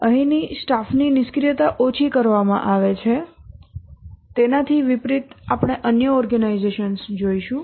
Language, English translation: Gujarati, The idling of the staff is minimized here unlike we'll see the other organizations